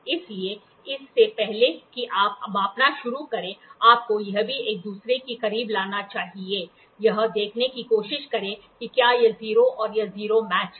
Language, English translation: Hindi, So, before you start measuring, you are supposed to bring this too close to each other, try to see whether this 0 and this 0, so, whether this 0 this 0 matches